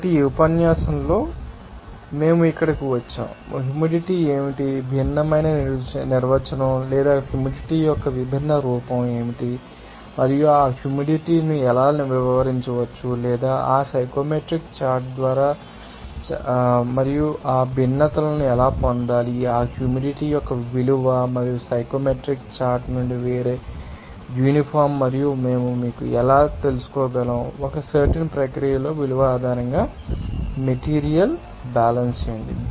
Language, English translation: Telugu, So, we have land here in this lecture, that what is the saturation what is the humidity what is the different definition or different form of humidity and how that humidity can be you know, explained or can be read by that psychometric chart and how to you know obtain that different value of that humidity and also a different uniform of that you from the psychometric chart and also we how we can actually you know, do the material balance based on the value in a particular process